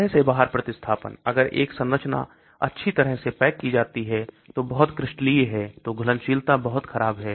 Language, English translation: Hindi, Out of plane substitution, if a structure is well packed, very crystalline, solubility is very poor